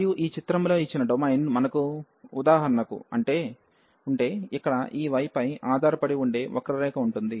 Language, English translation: Telugu, And if we have for example the domain given in this figure, so here there is a curve which depends on this y